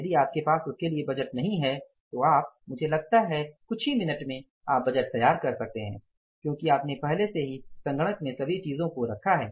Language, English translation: Hindi, If you don't have the budget for that you can within I think a few minutes you can prepare the budget because you have already put the things in place in the systems